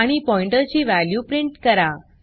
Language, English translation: Marathi, And print the value of the pointer